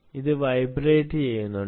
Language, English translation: Malayalam, it is vibrating ah